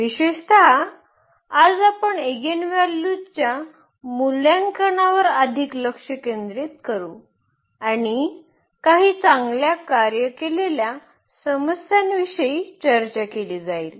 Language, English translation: Marathi, In particular today we will focus more on evaluation of the eigenvalues and some good worked out problems will be discussed